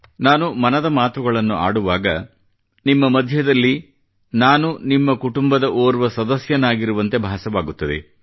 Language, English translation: Kannada, When I express Mann Ki Baat, it feels like I am present amongst you as a member of your family